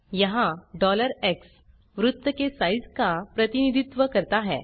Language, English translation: Hindi, Here $x represents the size of the circle